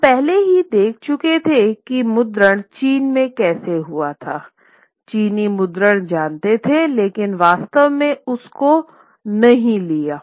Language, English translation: Hindi, Now, very curious, we had already seen how printing had been in China, but did, Chinese knew about printing, but did not really take on with it